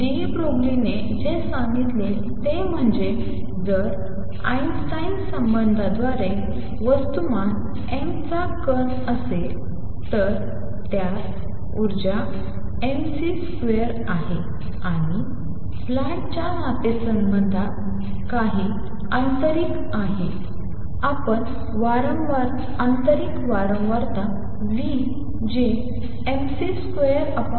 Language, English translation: Marathi, What de Broglie said is if there is a particle of mass m by Einstein relationship it has energy mc square and by Planck’s relationship it has a some internal let us write internal frequency nu which is given by mc square over h